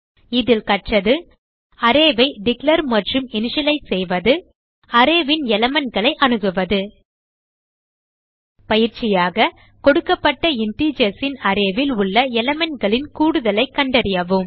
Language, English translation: Tamil, In this tutorial we have learnt TO declare and initialize the array , And access element in an array The assignment for this tutorial is, Given an array of integers, find the sum of all the elements in the array